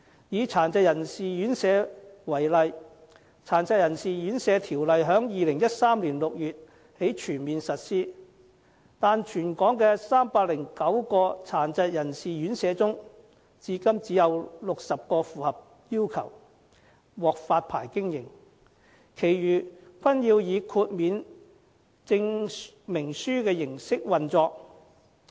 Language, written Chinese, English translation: Cantonese, 以殘疾人士院舍為例，《殘疾人士院舍條例》在2013年6月起全面實施，但全港309間殘疾人士院舍中，至今只有60間符合要求，獲發牌經營，其餘均要以豁免證明書的形式運作。, Take residential care homes for persons with disabilities RCHDs as an example . Since the full implementation of the Residential Care Homes Ordinance in June 2013 only 60 of the 309 RCHDs so far meet the licensing requirements while the rest operate with a certification of exemption